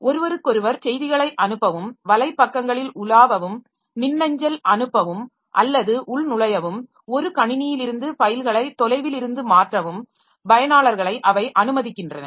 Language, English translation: Tamil, They allow users to send messages to one another screens, browse web pages, send email, login remotely, transfer files from one machine to another